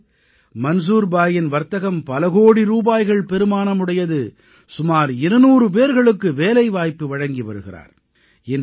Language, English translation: Tamil, Today, Manzoor bhai's turnover from this business is in crores and is a source of livelihood for around two hundred people